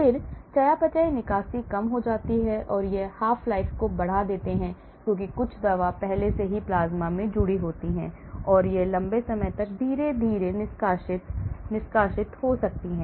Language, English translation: Hindi, then decreases metabolism, clearance and it prolongs the half life because some drug is already bound to the plasma and it may get slowly released over a long period of time